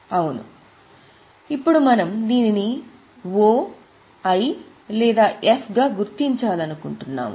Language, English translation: Telugu, Now we want to mark it as O, I or F